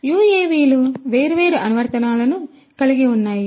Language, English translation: Telugu, UAVs have lot of different applications